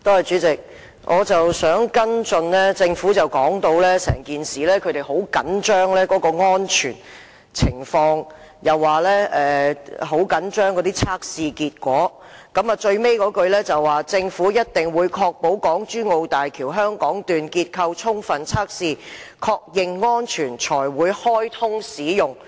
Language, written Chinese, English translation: Cantonese, 主席，我想跟進一下，政府說他們很着緊安全情況，又說很着緊測試結果，最後一句是，"政府一定會確保港珠澳大橋香港段結構充分測試，確認安全，才會開通使用"。, President I would like to follow up . The Government said that they are very concerned about safety and the test results; the last sentence of the reply is the Government will ensure that the testing of the structures of the HZMB Hong Kong Section is robust and that the structure is safe before the commissioning of HZMB